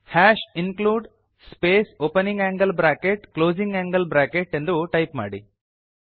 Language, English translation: Kannada, Type hash #include space opening angle bracket closing angle bracket